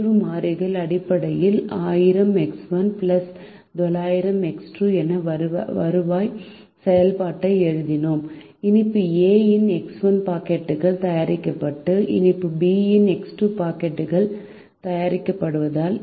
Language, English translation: Tamil, we then wrote the revenue function, in terms of the decision variables, as thousand x one b plus nine hundred x two, if x one packets of sweet a are made and x two packets of sweet b are